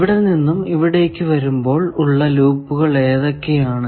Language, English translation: Malayalam, So, while coming from here to here, what are the loops